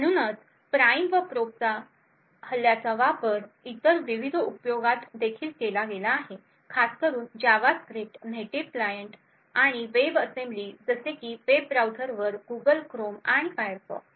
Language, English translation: Marathi, So, the prime and probe attack has also been used in various other use cases especially it has been used to create to attack JavaScript, native client and web assembly on web browsers such as the Google Chrome and Firefox